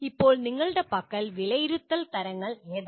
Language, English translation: Malayalam, Now, what are the types of assessment that you have